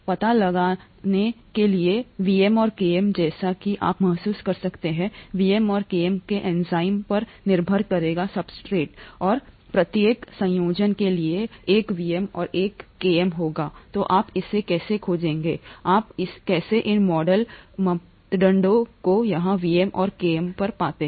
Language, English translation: Hindi, To find out, Vm and Km, as you can realise Vm and Km will be dependent on the enzyme of the substrate and for each combination there will be a Vm and a Km, so how do you find that out, how do you find out these model parameters here, Vm and Km